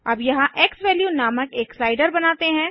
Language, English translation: Hindi, Now let us create a slider here named xValue